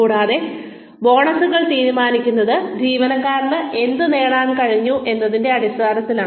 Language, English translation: Malayalam, And, the bonuses are decided, on the basis of, what the employee has been able to achieve